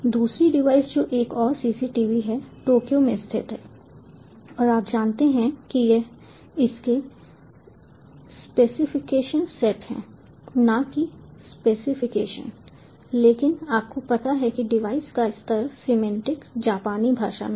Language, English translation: Hindi, the other device, which is another cctv, is located in tokyo and you know it is its specification sets ah, not specifications, but you know the device level, semantics are handled in japanese language